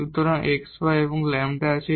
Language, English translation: Bengali, So, there is a x y and lambda